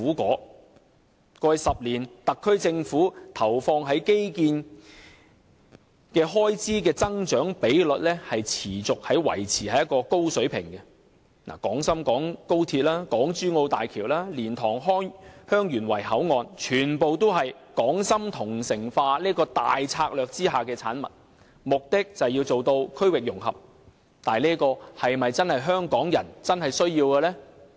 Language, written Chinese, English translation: Cantonese, 過去10年，特區政府投放在基建開支的增長比率持續維持在高水平，例如廣深港高鐵、港珠澳大橋、蓮塘香園圍口岸等均是港深同城化這大策略下的產物，目的是要做到區域融合，但這是否真的是香港人所需要的？, The expenditure of the SAR Government on infrastructure grew persistently at a high level in the past decade . For instance XRL HZMB and the boundary control point at LiantangHeung Yuen Wai are all products of this overall strategy of Hong Kong - Shenzhen integration the purpose of which is to realize regional integration . But is it truly what Hong Kong people need?